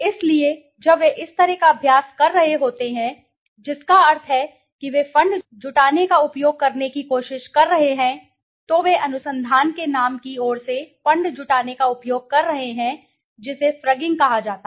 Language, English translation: Hindi, So, when they are doing such kind of practice that means they are trying to use fund raising, they are using fund raising on behalf of the name of the research it is called frugging